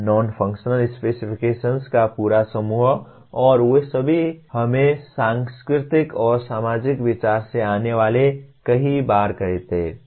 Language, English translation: Hindi, The whole bunch of non functional specifications and they will all come from let us say the many times they come from cultural and societal considerations